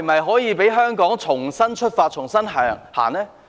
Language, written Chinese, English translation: Cantonese, 可否讓香港重新出發、重新向前走呢？, Can they let Hong Kong set out afresh and move forward again?